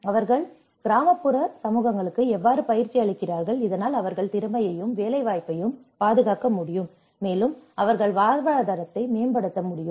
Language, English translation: Tamil, How they train the rural communities so that they can also secure skill as well as the employment and they can enhance their livelihoods